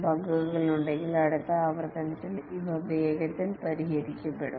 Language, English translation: Malayalam, If there are bugs, these are fixed quickly in the next iteration